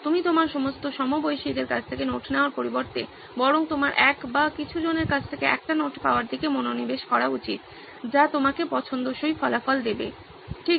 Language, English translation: Bengali, Instead of you getting notes from all of your peers, you should rather focus on getting a note from one or a couple of people which would give you desired result, right